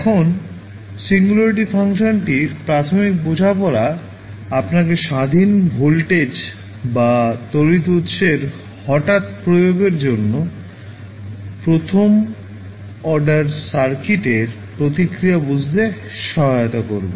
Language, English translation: Bengali, Now, the basic understanding of singularity function will help you to understand the response of first order circuit to a sudden application of independent voltage or current source